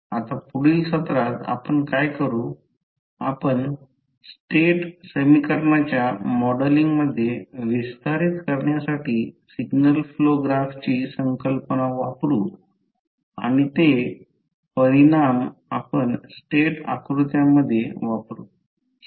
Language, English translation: Marathi, Now, in the next session what we will do, we will use the signal flow graph concept to extend in the modelling of the state equation and the results which we will use in the state diagrams